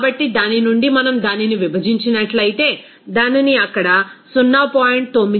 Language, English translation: Telugu, So, from that if we divide it, we can get this to 0